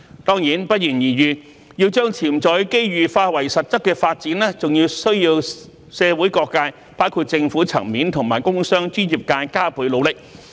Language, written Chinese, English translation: Cantonese, 當然，不言而喻，要將潛在的機遇化為實質的發展，還需社會各界，包括政府層面和工商專業界加倍努力。, Of course it goes without saying that the transformation of potential opportunities into actual development also requires additional efforts from various sectors of the community including the Government as well as the industrial commercial and professional sectors